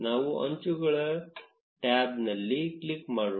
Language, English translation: Kannada, Let us click at the edges tab